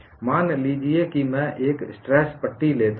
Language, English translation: Hindi, Suppose I take a tension strip